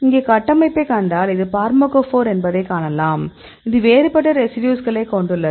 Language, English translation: Tamil, So, if we see the structure here; so in this case you can see this is the pharmacophore, it contains a different a residues